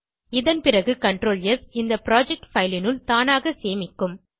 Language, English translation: Tamil, All future CTRL + S will automatically save into this project file